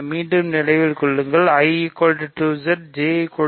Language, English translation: Tamil, So, again remember I is 2Z, J is 3Z